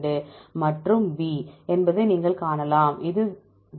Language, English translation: Tamil, 52 and B, it is 0